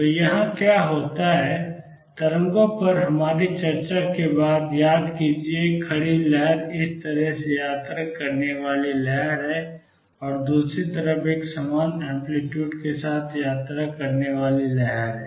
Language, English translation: Hindi, So, what happens here; is recall from our discussion on waves that a standing wave is a wave travelling this way and a wave travelling the other way with equal amplitude